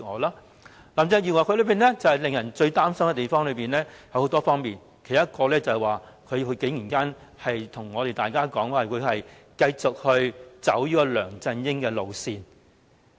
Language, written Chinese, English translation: Cantonese, 林鄭月娥有數點令人擔心的地方，其中之一便是她竟然告訴我們，她會繼續走梁振英的路線。, There are several things about Carrie LAM that worry us . One of them is her telling us that she will hold onto the line taken by LEUNG Chun - ying